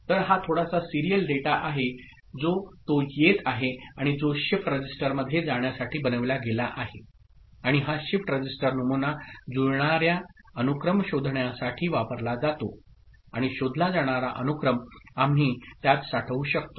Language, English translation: Marathi, So, here this is the serial data in the bit still it is coming, and which is made to go through a shift register and this shift register is used for the pattern matching sequence detection, and the sequence to be detected we can store it in another register, right